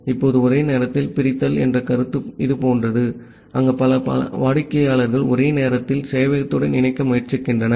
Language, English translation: Tamil, Now, the concept of concurrent sever is something like this where multiple clients are trying to connect to the server simultaneously